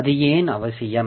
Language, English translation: Tamil, So, why is it necessary